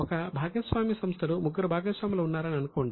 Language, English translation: Telugu, So, in the partnership firm, let us say there are three partners